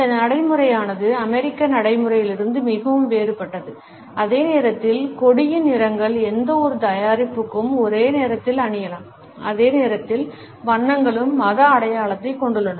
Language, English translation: Tamil, This practice is very different from the American practice where the colors of the flag can be worn on any type of a product at the same time colors also have religious symbolism